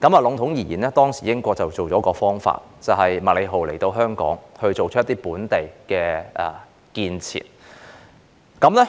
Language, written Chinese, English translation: Cantonese, 籠統而言，當時英國想出了一個點子，就是讓港督麥理浩推行一些本地建設。, Generally speaking Britain came up with the idea of letting the then Hong Kong Governor MACLEHOSE implement some local construction projects